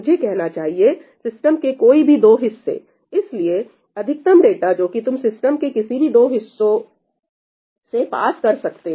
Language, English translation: Hindi, I should say, any 2 halves of the system so, the maximum amount of data that you can pass through any 2 halves of the system